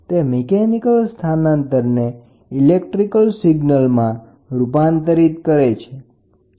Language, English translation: Gujarati, It transforms a mechanical displacement into an electrical signal